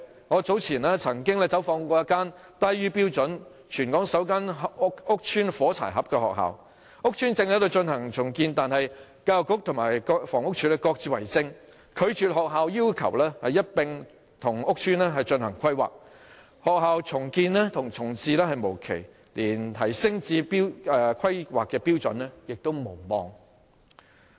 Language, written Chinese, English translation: Cantonese, 我早前走訪過一間低於標準、全港首間屋邨"火柴盒"學校，屋邨正在進行重建，但教育局和房屋署各自為政，拒絕學校要求一併與屋邨進行規劃，學校重建重置無期，連提升至規劃標準也無望。, I earlier paid a visit to a sub - standard matchbox public housing estate school which was the first of its kind in Hong Kong . While the reconstruction of the housing estate is going on the schools request for planning in tandem was rejected due to the lack of coordination between the Education Bureau and the Housing Department . Not only does the school see no definite date for its reprovisioning and reconstruction it also cannot expect to be upgraded in compliance with the planning standards